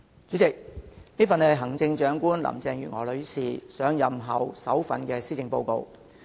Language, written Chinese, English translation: Cantonese, 主席，這是行政長官林鄭月娥女士上任後的首份施政報告。, President this is the maiden Policy Address of Chief Executive Mrs Carrie LAM following her assumption of office